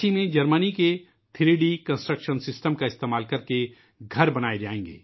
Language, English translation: Urdu, In Ranchi houses will be built using the 3D Construction System of Germany